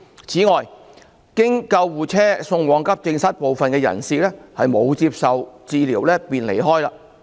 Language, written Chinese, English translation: Cantonese, 此外，經救護車送往急症室的部分人士沒有接受診治便離開。, Furthermore some of the persons who had been conveyed to the accident and emergency AE department by ambulance left without receiving diagnoses and treatments